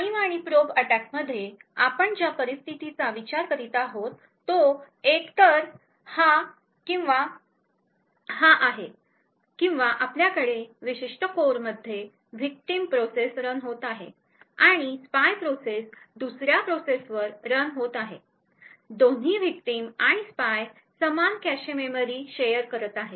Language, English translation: Marathi, In a prime and probe attack the scenario we are considering is either this or this or we have a victim process running in a particular core and a spy process running in another processor core, the both the victim and spy are sharing the same cache memory